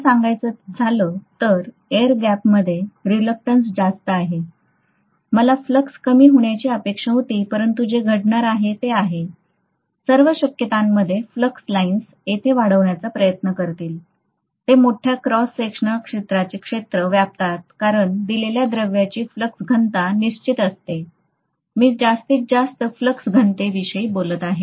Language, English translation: Marathi, Actually speaking, at this point where the air gap is, because the reluctance is higher here, I should have expected the flux to diminish, but what is going to happen is, in all probability, these lines of flux will try to bulge here so that they cover larger cross sectional area because the flux density for a given material is kind of fixed, I can’t have, that is the maximum flux density I am talking about